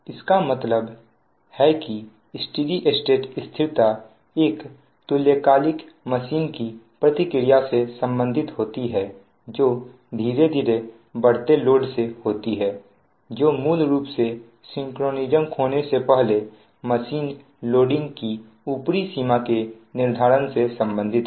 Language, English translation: Hindi, so steady state stability relates to the response of a synchronous machine of a gradually increasing load that you in, i mean you increase the load gradually and you can find out that data up determines the upper limit of the machine before it losing synchronism